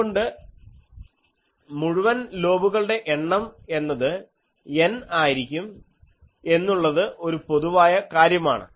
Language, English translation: Malayalam, So, this is a general thing that number of full lobes will be N, if we have N plus 1 element array